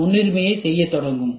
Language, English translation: Tamil, So, then we do need prioritization